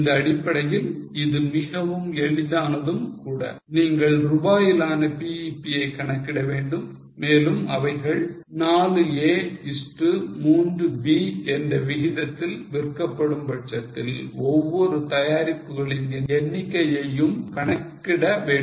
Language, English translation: Tamil, Now based on this it is very simple you have to calculate the BP in terms of rupees and the number of each product if they are to be sold in the ratio of 4A is to 3B